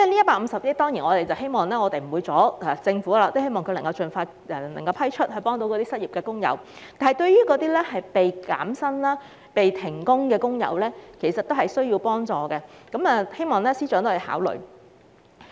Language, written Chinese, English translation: Cantonese, 我們當然無意阻礙政府，希望這150億元撥款可以盡快批出，以幫助失業的工友，但一些被減薪或停工的工友也很需要幫助，希望司長會考慮。, Of course we have no intention to obstruct the Government and hope that this 15 billion can be approved as soon as possible to help the unemployed workers . However since workers suffering wage cuts or being suspended from work are also in desperate need of help I hope FS will consider this proposal